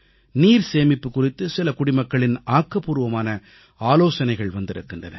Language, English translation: Tamil, Quite a few active citizens have sent in suggestions on the subject of water conservation